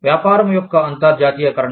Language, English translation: Telugu, The internationalization of business